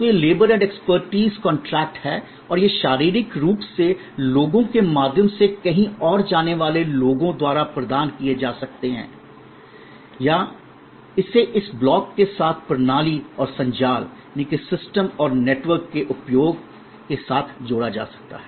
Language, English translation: Hindi, So, these are labor and expertise contracts and these can be physically provided by people going elsewhere through people or it could be combined with this block with this access to and usage of systems and networks